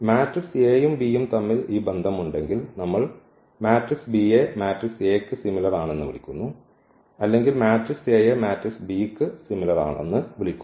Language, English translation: Malayalam, If we have this relation between the between the matrix A and B, then we call this P is similar to the matrix A or A is similar to the matrix B